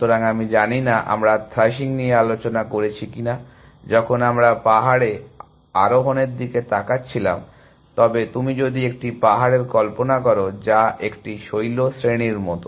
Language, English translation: Bengali, So, I do not know whether we discuss thrashing, when we were looking at hill climbing, but if you imagine a hill, which is like a ridge